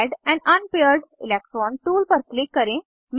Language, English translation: Hindi, Click on Add an unpaired electron tool